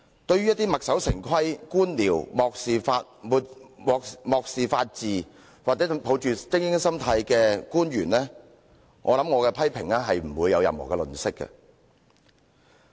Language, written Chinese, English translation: Cantonese, 對於一些墨守成規、官僚、漠視法治或抱着精英心態的官員，相信我會毫不留情地作出批評。, To bureaucratic officials who stick to the rut disregard the rule of law or hold an elitist attitude I believe I will voice my sternest criticisms